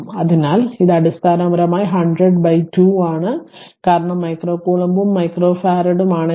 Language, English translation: Malayalam, So, it is basically 100 by 2 because if the micro coulomb and it is micro farad